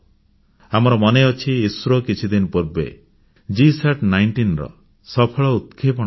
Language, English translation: Odia, We are all aware that a few days ago, ISRO has successfully launched the GSAT19